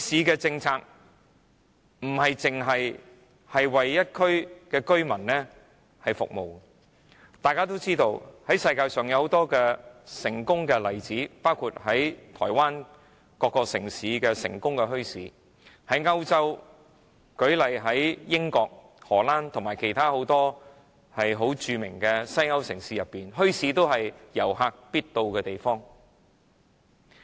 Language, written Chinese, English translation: Cantonese, 墟市不僅是為一區居民服務，大家都知道，世界上有很多出名的墟市，台灣各個城市都有成功的墟市，英國、荷蘭和其他很多著名的歐洲城市，墟市是遊客必到之處。, As we all know there are many famous bazaars in the world . There are successful bazaars in every city in Taiwan . In the United Kingdom Holland and many famous cities in Europe bazaars are a must for tourists